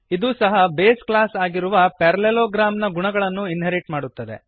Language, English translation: Kannada, It inherits the properties of base class parallelogram